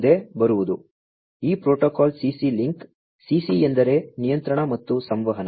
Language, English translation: Kannada, Next comes, this protocol the CC link CC stands for Control and Communication